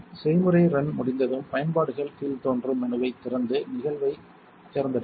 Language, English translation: Tamil, When the process run is completed, open the utilities dropdown menu and then select event